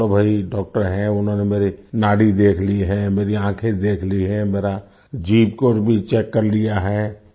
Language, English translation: Hindi, Okay…here's a doctor, he has checked my pulse, my eyes… he has also checked my tongue